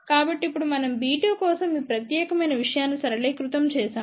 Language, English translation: Telugu, So, now we simplify this particular thing for b 2